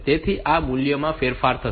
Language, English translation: Gujarati, So, this value will get modified